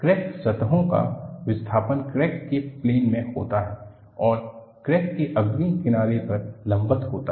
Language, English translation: Hindi, The displacement of crack surfaces is in the plane of the crack and perpendicular to the leading edge of the crack